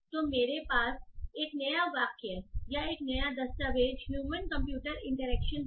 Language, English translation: Hindi, So I have a new sentence or a new document human computer interaction